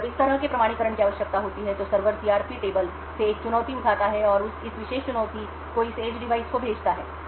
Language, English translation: Hindi, When such authentication is required, the server would pick up a challenge from the CRP table and send this particular challenge to this edge device